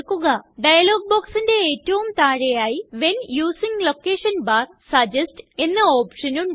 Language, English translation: Malayalam, At the very bottom of the dialog box, is an option named When using location bar, suggest